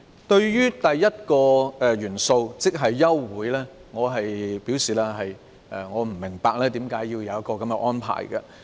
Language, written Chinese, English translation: Cantonese, 對於第一項元素，即休會，我不明白為甚麼要有這項安排。, Regarding the first element that is to adjourn the meeting I do not understand why such an arrangement is necessary